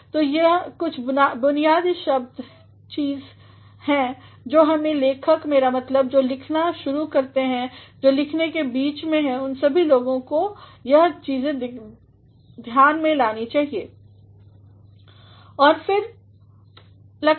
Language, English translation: Hindi, So, these are some of the basic things that every writer, I mean those who begin writing, those who are in the midst of writing; all these people should take these things into consideration